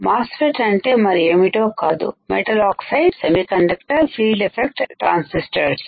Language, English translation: Telugu, MOSFET is nothing, but your metal oxide semiconductor field effect transistors